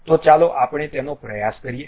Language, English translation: Gujarati, So, let us try that